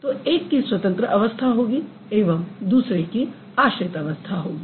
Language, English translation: Hindi, So, one will have dependent status, the other one will have independent status, right